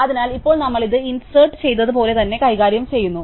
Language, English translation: Malayalam, So, now, we treat this exactly like we did insert